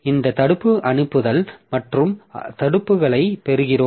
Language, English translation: Tamil, So, we have got this blocking send and blocking receives